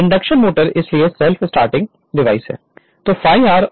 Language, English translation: Hindi, The induction motor is therefore, a self starting device right